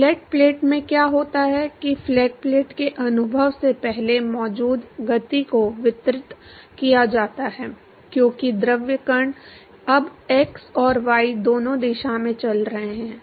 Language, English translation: Hindi, In flat plate what happens is that the momentum which is present before the experience of the flat plate is distributed because the fluid particles are now moving in both x and y direction